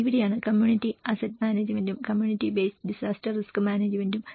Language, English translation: Malayalam, So this is where the community asset management and the community base disaster risk management